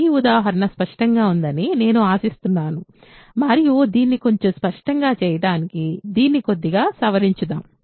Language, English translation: Telugu, So, I hope this example is clear and to just to clarify this a little more, let us modify this slightly